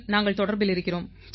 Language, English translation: Tamil, We still contact each other